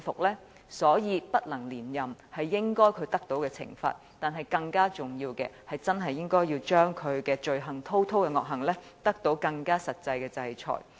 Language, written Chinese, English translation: Cantonese, 因此，不能連任是他應得的懲罰，但更重要的是要令他滔滔的惡行得到更實際的制裁。, As such being unable to seek another term is the punishment he deserves . But more importantly more practical sanctions should be imposed for his heinous sins